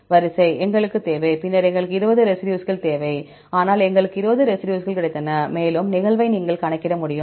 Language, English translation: Tamil, Sequence; we need and then we need the 20 residues, but we got the 20 residues and the sequence you can calculate the occurrence